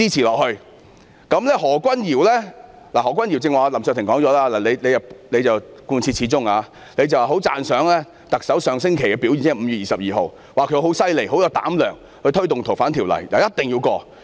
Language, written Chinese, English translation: Cantonese, 至於何君堯議員——林卓廷議員剛才已提及何君堯議員——他貫徹始終，十分讚賞特首上星期的表現，指她很厲害、有膽量推動《逃犯條例》，一定要通過。, As regards Dr Junius HO―Mr LAM Cheuk - ting has already talked about Dr Junius HO just now―he has been very consistent and he highly appreciated the performance of the Chief Executive in the previous week saying that she was very awesome and had the courage to take forward the amendment of FOO . He also remarked that the Bill must be passed . Ms Starry LEE was very awesome as well